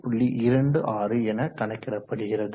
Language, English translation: Tamil, 26 which is equal to 24